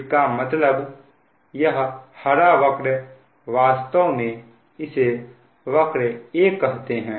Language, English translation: Hindi, that means this green curve, this green curve, actually this is